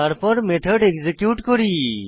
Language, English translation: Bengali, Then let us execute this method